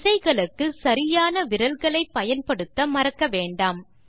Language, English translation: Tamil, Remember to use the correct fingers for the keys